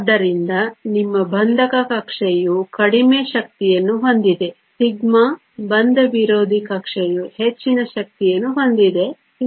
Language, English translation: Kannada, So, your bonding orbital has a lower energy that is your sigma, anti bonding orbital has a higher energy that is sigma star